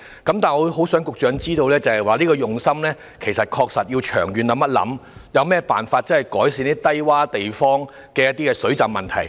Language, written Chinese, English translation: Cantonese, 然而，我很想局長知道，當局其實更需要從長遠考慮，想想有何辦法能改善低窪地方的水浸問題。, Nevertheless I very much hope the Secretary will realize that the authorities should make long - term considerations thinking up methods to ameliorate the flooding problem at these low - lying locations